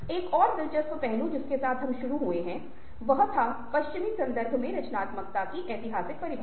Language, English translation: Hindi, another interesting aspect which we began was the historical definition of creativity in the western context